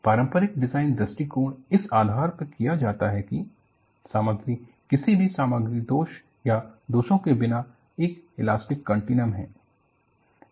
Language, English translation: Hindi, The conventional design approaches are done with the premise that, the material is an elastic continuum, without any material defects or flaws